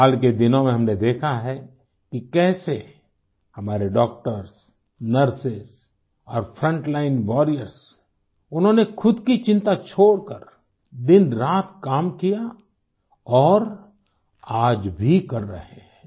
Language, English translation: Hindi, We've seen in the days gone by how our doctors, nurses and frontline warriors have toiled day and night without bothering about themselves, and continue to do so